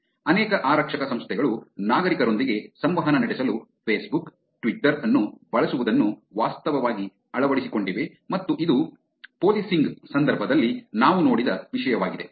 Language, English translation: Kannada, Multiple police organizations have actually adopted using Facebook, Twitter, for sharing for interacting with the citizens and that is the topic that we saw in the context of policing